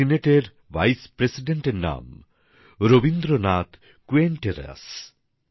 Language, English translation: Bengali, The name of the Vice President of the Chilean Senate is Rabindranath Quinteros